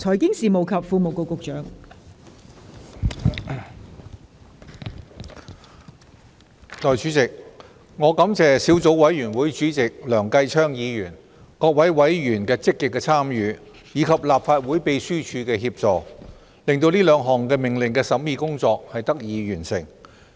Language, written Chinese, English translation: Cantonese, 代理主席，我感謝小組委員會主席梁繼昌議員、各位委員的積極參與，以及立法會秘書處的協助，令兩項命令的審議工作得以完成。, Deputy President I would like to thank Mr Kenneth LEUNG Chairman of the Subcommittee and all other members for their active participation and also the Legislative Council Secretariat for their assistance which have enabled the completion of the scrutiny of the two orders